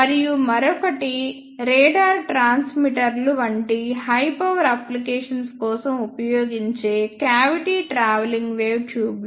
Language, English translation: Telugu, And the another one is coupled cavity travelling wave tubes which are used for high power applications such as radar transmitters